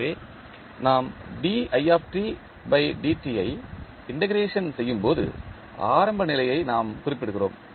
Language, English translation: Tamil, So, when we integrate the i dot we specify the initial condition